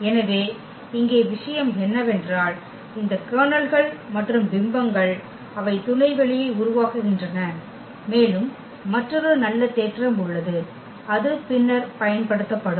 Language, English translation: Tamil, So, here the point is that these kernel and the image they form subspace and there is another nice theorem which will be used later